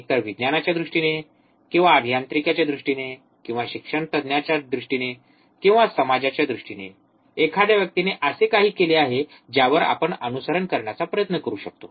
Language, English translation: Marathi, Either in terms of science or in terms of engineering or in terms of academics, or in terms of society, anything a person who has done something on which we can also try to follow